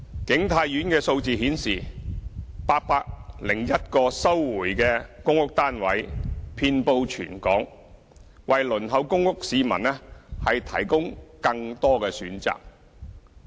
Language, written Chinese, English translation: Cantonese, 景泰苑的數字顯示 ，801 個收回的公屋單位遍布全港，為輪候公屋市民提供更多的選擇。, The 801 recovered PRH units as shown by the figures of King Tai Court are located throughout the territory offering more choices for applicants on the PRH Waiting List